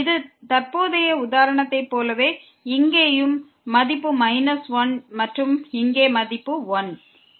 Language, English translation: Tamil, Like in this present example here it is value minus 1 and here the value is 1